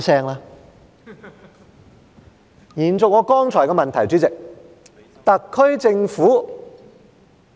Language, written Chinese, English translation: Cantonese, 主席，延續我剛才提出的問題，特區政府......, President let me continue with the question I raised just now